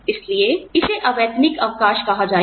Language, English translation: Hindi, That is why, it would be called unpaid leave